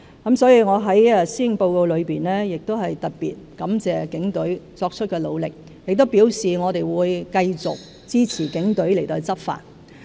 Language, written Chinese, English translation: Cantonese, 因此，我在施政報告亦特別感謝警隊作出的努力，並表示我們會繼續支持警隊執法。, Therefore in the Policy Address I have extended my special thanks for the efforts of the Police Force and indicated my continuous support for its law enforcement